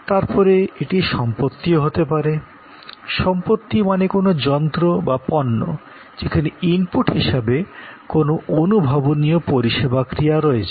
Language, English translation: Bengali, Then, it could be like possession; that mean some kind device, some product, where there are some tangible service actions as input